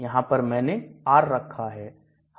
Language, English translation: Hindi, Here I have put R